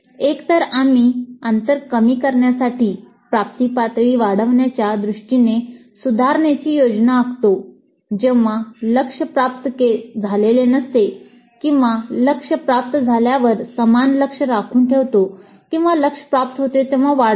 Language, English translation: Marathi, So, either we plan improvements in order to raise the attainment levels to reduce the gap when the targets have not been attained or retain the same target when the target has been attained or increase the target when the target has been attained